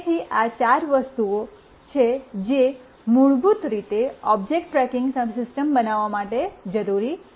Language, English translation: Gujarati, So, these are the four things that are required basically to build the object tracking system